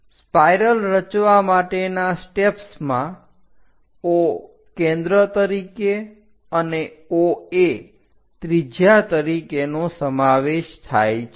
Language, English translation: Gujarati, The steps involved in constructing the spiral are with O as center and radius OA first of all, we have to draw a circle